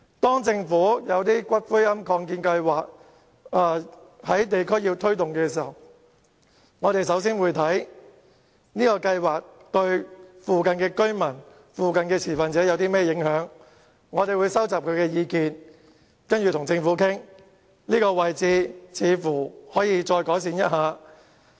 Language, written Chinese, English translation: Cantonese, 當政府要在地區推動龕場的擴建計劃時，我們會先研究該計劃對附近的居民和持份者有何影響，並收集他們的意見，然後再與政府討論所涉位置可否稍作改善。, When the Government put forth the proposal to expand WHSC we first examined its implication on the residents and the stakeholders in the vicinity collected their views and then negotiated with the Government to see if further refinements could be made